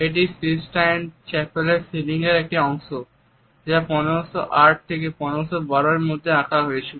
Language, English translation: Bengali, It is a part of the Sistine Chapels ceiling, which was painted during 1508 1512